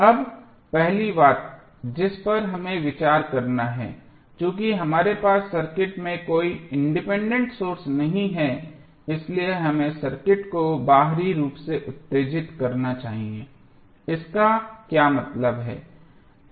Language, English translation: Hindi, Now, first things what first thing which we have to consider is that since we do not have any independent source in the circuit we must excite the circuit externally what does it mean